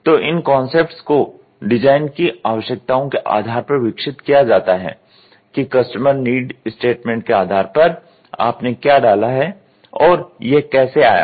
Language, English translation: Hindi, So, these concepts are developed based on the design requirements whatever you have put and how did it come